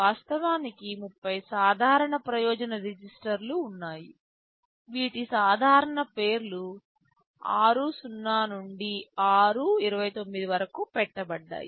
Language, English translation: Telugu, And of course, there are 30 general purpose registers; these are named typically r0 to r29